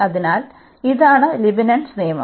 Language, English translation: Malayalam, So, this was the direct application of the Leibnitz rule